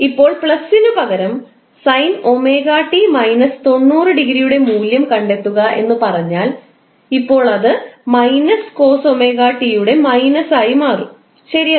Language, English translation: Malayalam, Now instead of plus if we say that find out the value of omega t minus 90 degree, now this will become minus of cos omega t, right